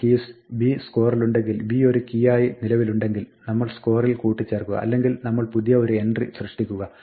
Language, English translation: Malayalam, So, we say if b is in the scores, dot keys if we have b as an existing key then we append the score otherwise we create a new entry